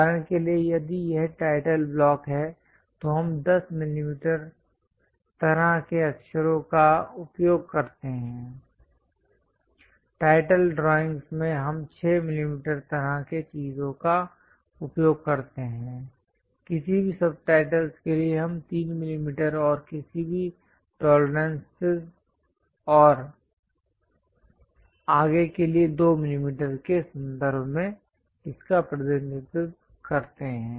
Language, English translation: Hindi, For example, if it is title block, we use 10 millimeters kind of letters; title drawings we use 6 millimeter kind of things, any subtitles we use 3 millimeters and any tolerances and so on represented it in terms of 2 millimeters